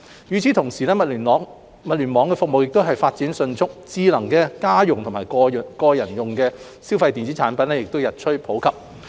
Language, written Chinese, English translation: Cantonese, 與此同時，物聯網服務亦發展迅速，智能家用及個人消費電子產品日趨普及。, At the same time Internet of Things IoT services are also developing rapidly and smart household and personal electronic devices are becoming increasingly popular